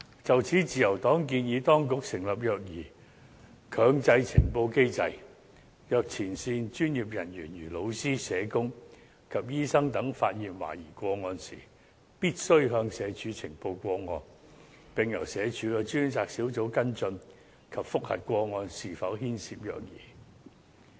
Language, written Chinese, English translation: Cantonese, 就此，自由黨建議當局設立"虐兒強制呈報機制"，若前線專業人員，如老師、社工及醫生等發現懷疑個案，必須向社署呈報，並由社署的專責小組跟進及覆核個案是否牽涉虐兒。, In this connection the Liberal Party proposes to set up a Mandatory Reporting Protocol on Child Abuse under which frontline professionals including teachers social workers and doctors must report to SWD suspected child abuse cases which will be followed up and verified by a dedicated team of SWD